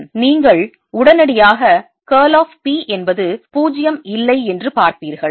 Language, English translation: Tamil, you will immediately see that curl of p is not zero